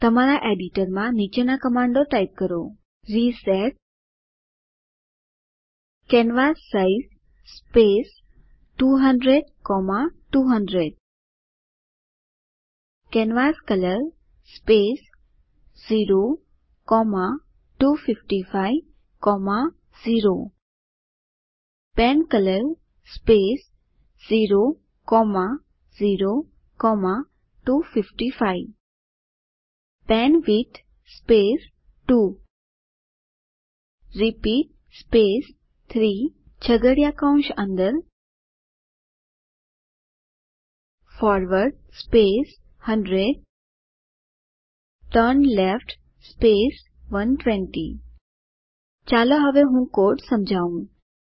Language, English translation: Gujarati, Type the following commands into your editor: reset canvassize space 200,200 canvascolor space 0,255,0 pencolor space 0,0,255 penwidth space 2 repeat space 3 within curly braces { forward 100 turnleft 120 } Let me now explain the code